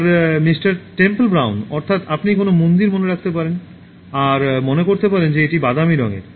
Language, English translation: Bengali, Temple Brown so you can remember a temple and you can remember that it is in brown color